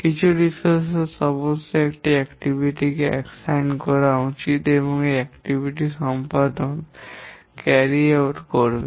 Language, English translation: Bengali, Some resources must be assigned to an activity who will carry out this activity